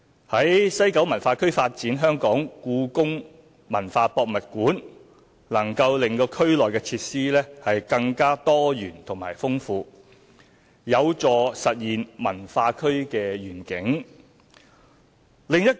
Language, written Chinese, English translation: Cantonese, 在西九文化區發展香港故宮文化博物館能令區內設施更多元豐富，有助實現文化區的願景。, Developing the Hong Kong Palace Museum HKPM in WKCD is conducive to realizing the vision of WKCD by enhancing the diversity of the facilities therein